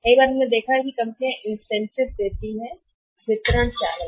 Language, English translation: Hindi, Many times we might have seen that when the companies give the incentive to the channels distribution channels